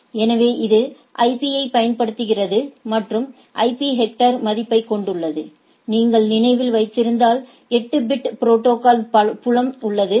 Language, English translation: Tamil, So, it uses the IP and a has a value of the IP header, if you remember there is a 8 bit protocol field